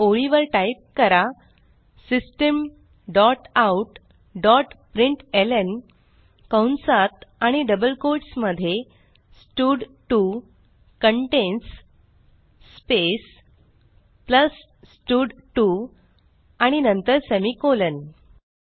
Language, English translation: Marathi, Now type next line System dot out dot println within brackets and double quotes stud2 contains space plus stud2 and then semicolon